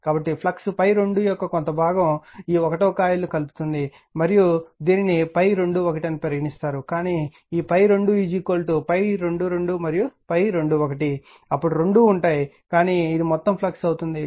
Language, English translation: Telugu, So, part of the your what you call part of the flux of your phi 2 actually linking the this coil 1 right and this is your coiling phi 2 1, but this phi 2 is equal to phi 2 2 and phi 2 1 then both but this this is a total flux